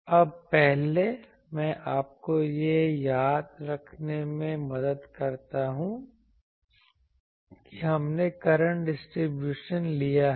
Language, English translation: Hindi, Now, previously I help you to recall that we have taken the current distributions